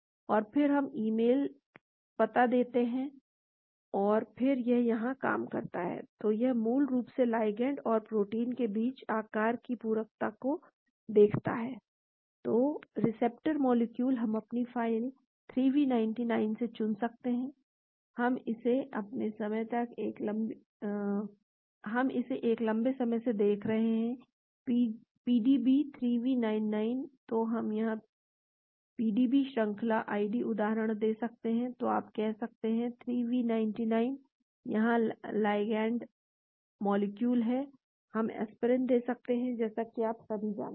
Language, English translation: Hindi, And then we give the email address and then it does the job here, so it gives basically looks at the shape complementarity between the ligand and the protein , so the receptor molecule we can choose from our file, 3v99, we have been looking at it for a long time, PDB, 3v99, so we can give a PDB chain ID example here, so you can say 3v99, been here the ligand molecule, we can give aspirin as you all know